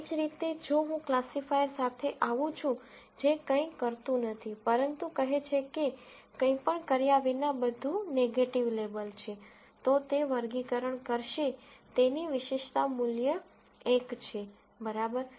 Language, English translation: Gujarati, Similarly, if I come up with a classifier, which does nothing, but says everything is negative label without doing anything, then that classifier will have specificity value of 1 right